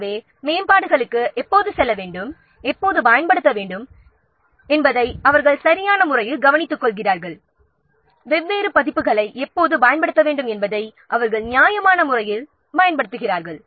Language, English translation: Tamil, So, that's why they take proper care when to use the proper, when to use the, when to go for upgradeations, when to use the different versions they judiciously use